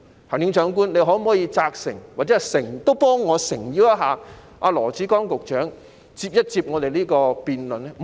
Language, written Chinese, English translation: Cantonese, 行政長官，你可否責成或替我誠邀羅致光局長與我們進行辯論呢？, Chief Executive can you instruct Secretary Dr LAW Chi - kwong to have a debate with us or help extend this invitation to him for me?